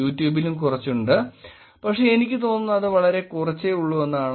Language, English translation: Malayalam, There is a little bit of YouTube but I think YouTube is pretty small